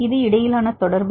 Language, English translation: Tamil, It is the interaction between